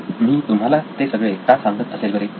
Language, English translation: Marathi, So why am I telling you this